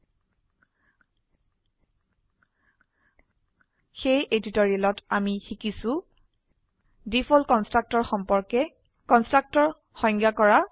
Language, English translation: Assamese, So in this tutorial, we have learnt About the default constructor